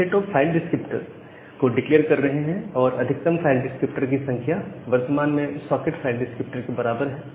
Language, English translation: Hindi, So, we are declaring the set of file descriptor and the maximum file descriptor which is equal to the current socket file descriptor